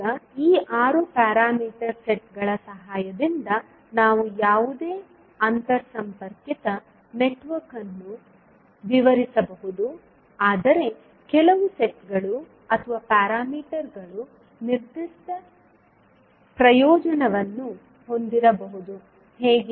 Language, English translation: Kannada, Now, we can describe any interconnected network with the help of these 6 parameter sets, but there are certain sets or parameters which may have a definite advantage, how